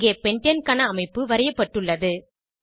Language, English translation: Tamil, Here the structure of pentane is drawn